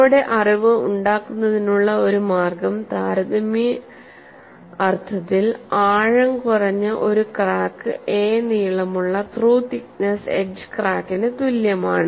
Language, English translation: Malayalam, So, one way of making our knowledge in a comparative sense, a shallow crack is equivalent to a through the thickness edge crack of length a